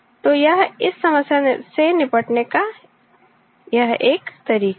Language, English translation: Hindi, So, this is one way of handling this problem